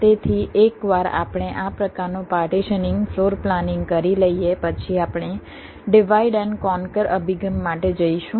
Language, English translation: Gujarati, so once we do this kind of partitioning, floor planning, we are going for something like a divide and conquer approach